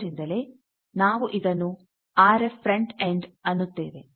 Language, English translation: Kannada, So, that is why we call it RF frontend